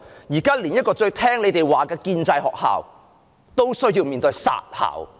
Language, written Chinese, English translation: Cantonese, 現在連這一所最聽命於政府的建制學校也面臨"殺校"。, At present even this pro - establishment school which has been most obedient to the Government is also on the verge of being closed down